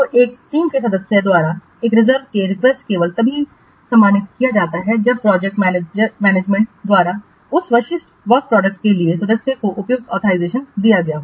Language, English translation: Hindi, So, a reserve request by a team member is honored only if the appropriate authorization has been given by the project manager to that member for that specific work product